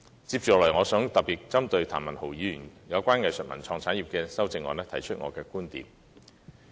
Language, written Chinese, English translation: Cantonese, 接下來，我想特別針對譚文豪議員關於藝術文創產業的修正案提出我的觀點。, Next I wish to specifically talk about my views on Mr Jeremy TAMs amendment regarding the arts culture and creative industries